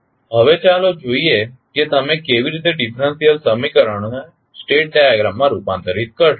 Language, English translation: Gujarati, Now, let us see how you will convert the differential equations into state diagrams